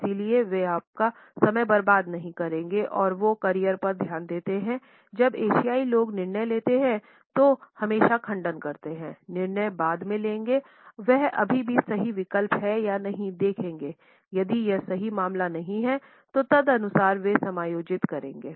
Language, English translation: Hindi, So, they will not be wasting your time there are more focus on the career when the Asian people make a decision there always refute as a decision later on see if it is still the right choice if this is not a case, they will adjust accordingly